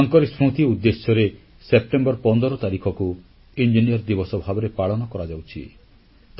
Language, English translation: Odia, In his memory, 15th September is observed as Engineers Day